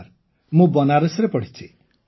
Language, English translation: Odia, Yes, I have studied in Banaras, Sir